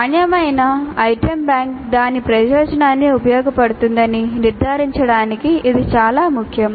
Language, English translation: Telugu, That is very important to ensure that the quality item bank serves its purpose